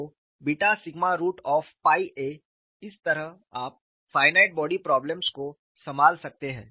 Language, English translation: Hindi, So, beta sigma root of pi a, that way you can handle finite body problem